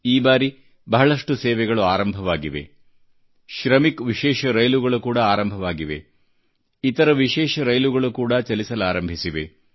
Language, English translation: Kannada, This time around much has resumedShramik special trains are operational; other special trains too have begun